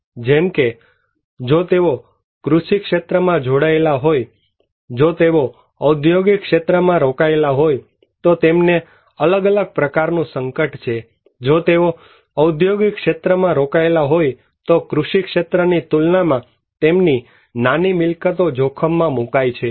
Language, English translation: Gujarati, Like, if they are engaged in agricultural sectors, if they are engaged in business sector or industrial sectors, they have different exposure, if they are engaged in an industrial sector, small properties are exposed to hazards, then compared to in agricultural sectors